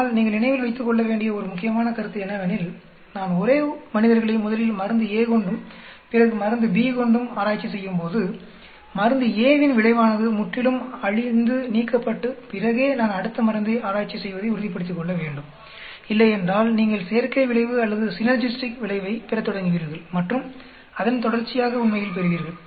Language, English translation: Tamil, But one important point you need to keep in mind is, when I test a same subjects with drug a and later with drug b, I have to be sure that the effect of drug a is completely washed and removed then I test the next drug otherwise you will start having combination effect or synergistic effect and so on actually